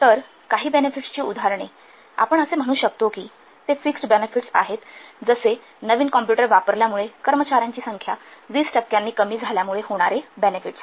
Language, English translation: Marathi, So some examples of benefits we can't see which are fixed benefits like benefits due to the decrease in the number of personnel by 20% resulting from the use of a new computer